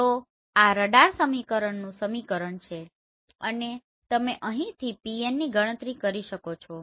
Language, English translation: Gujarati, So this is the equation from radar equation and Pn you can calculate from here